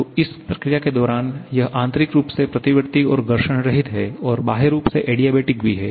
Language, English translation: Hindi, So, during this process, it is frictionless so internally reversible and also adiabatic so externally reversible